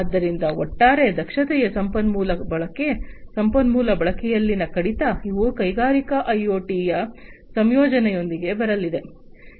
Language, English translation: Kannada, So, overall efficiency resource utilization reduction in resource utilization, these are the things that are going to come with the incorporation with the incorporation of industrial IoT